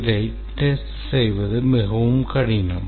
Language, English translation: Tamil, It is very difficult to test